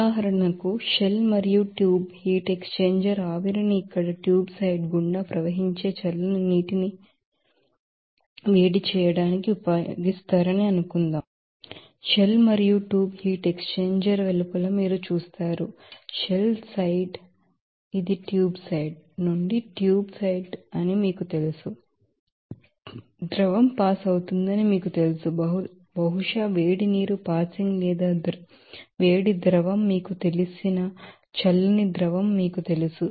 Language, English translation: Telugu, Another example, suppose, in a shell and tube heat exchanger steam is used to heat cold water passing it through the tube side here, you will see that shell and tube heat exchanger the outside it is you know that shell side this is tube side from the tube side some you know that liquid will be passing maybe you know hot water to be passing or hot liquid to be passing to heat up that you know cold liquid which is in shell side or vice versa also it can be done